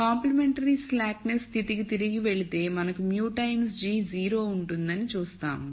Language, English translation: Telugu, So, going back to the complementary slackness condition we saw that we will have mu times g is 0